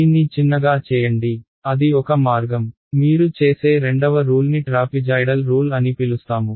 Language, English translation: Telugu, Make h very very small right that is one way of doing it, the second rule which you would have seen would we call the trapezoidal rule